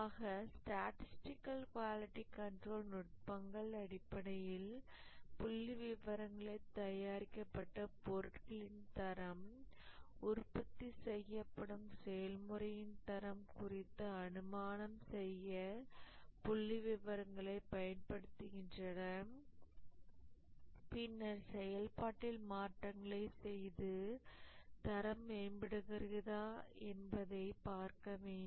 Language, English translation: Tamil, So, the statistical quality control techniques essentially use statistics to make inference about the quality of the output produced, the quality of the process that is produced, and then make changes to the process and see whether the quality is improving